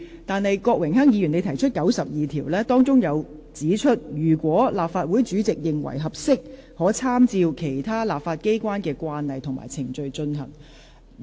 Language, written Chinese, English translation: Cantonese, 但是，郭榮鏗議員根據《議事規則》第92條提出規程問題，當中指出："如立法會主席認為適合，可參照其他立法機關的慣例及程序處理。, However Rule 92 of the Rules of Procedure under which Mr Dennis KWOK raised his point of order states that the practice and procedure to be followed in the Council shall be such as may be decided by the President who may if he thinks fit be guided by the practice and procedure of other legislatures